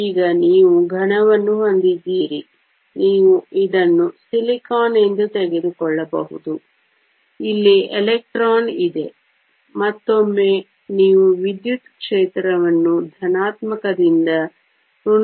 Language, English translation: Kannada, Now, you have a solid you can take this to be silicon there is an electron here; once again you apply an electric field going from positive to negative